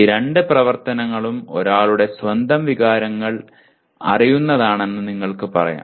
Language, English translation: Malayalam, You can say these two activities are knowing one’s own emotions